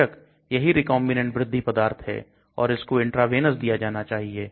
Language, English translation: Hindi, Of course it is a recombinant growth product and it has given as intravenous